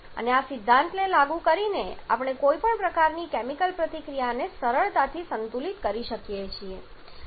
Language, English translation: Gujarati, And applying this principle we have we can easily balance any kind of chemical reaction